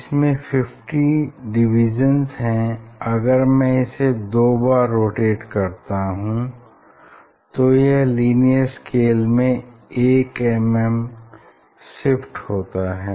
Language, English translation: Hindi, if I so there are 50 division see if I rotate twice, so it shifted in linear is shifted by 1 millimetre